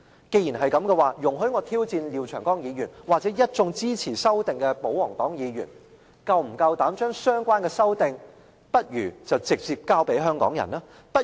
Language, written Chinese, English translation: Cantonese, 既然如此，容許我挑戰廖長江議員或一眾支持修訂的保皇黨議員，是否夠膽將相關修訂直接交給香港人？, In this respect may I invite Mr Martin LIAO and the pro - Government Members who are for the amendment to a challenge? . Do they dare to revise the amendment and hand over the presentation of petitions to the public?